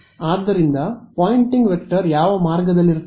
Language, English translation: Kannada, So, which way will the Poynting vector be